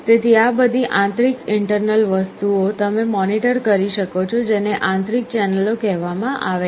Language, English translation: Gujarati, So, all these internal things you can monitor; these are called internal channels